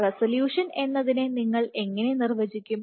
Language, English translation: Malayalam, So, how do we define resolution